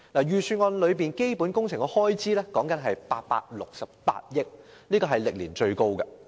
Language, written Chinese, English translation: Cantonese, 預算案有關基本工程的開支高達868億元，這是歷年最高的。, According to the Budget the capital works expenditure will amount to as much as 86.8 billion a record - high over all these years